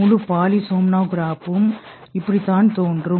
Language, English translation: Tamil, This is how the whole polysumnograph appears